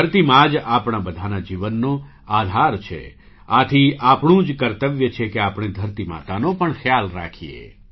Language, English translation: Gujarati, Mother Earth is the very basis of the lives of all of us… so it is our duty to take care of Mother Earth as well